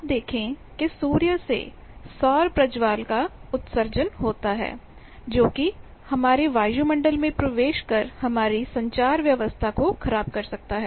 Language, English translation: Hindi, You see sun emits solar flare which affects, which falls on our atmosphere which can disturb our communication